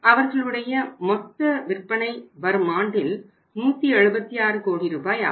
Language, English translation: Tamil, So this is the sales, expected sales, 176 total sales 176 crores